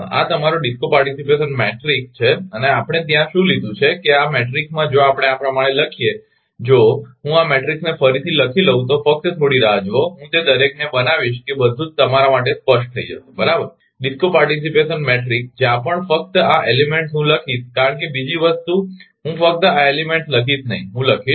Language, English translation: Gujarati, This is your DISCO participation matrix and what we have taken there, that in this matrix if we put like this, if I rewrite this matrix like this right just hold on I will make it every such that everything should be clear to you, right this DISCO participation matrix wherever only these elements I will write because other thing I will not write only these elements I will write